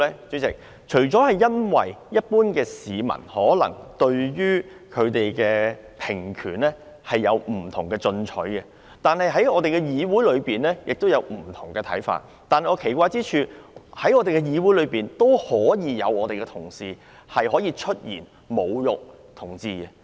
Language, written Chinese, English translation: Cantonese, 主席，除了因為一般市民可能對平權有不同的取態外，也因為議會內有不同的看法，但我奇怪的是，在議會內竟然有同事出言侮辱同志。, President partly because the general public and also some Members in this Council hold a different view about giving equal rights to people of different sexual orientations . But it is strange that a Member in this Council could have said something to humiliate a homosexual Member